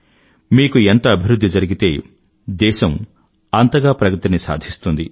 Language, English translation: Telugu, The more you progress, the more will the country progress